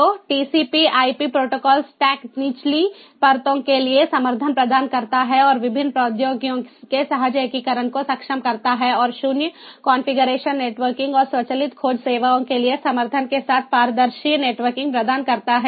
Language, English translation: Hindi, so, ah, the tcpip protocols stack provides support for the lower layers and enables seamless integration of the various technologies and provides the ah, the transparent networking, with support for zero configuration networking and automatic discovery services